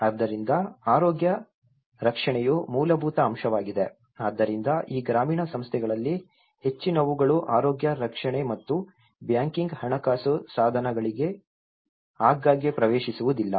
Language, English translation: Kannada, So, health care which is a fundamental aspect so many of these rural set ups they are not often access to the health care and as well as the banking financial instruments